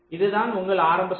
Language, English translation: Tamil, so this is your circuit, initial circuit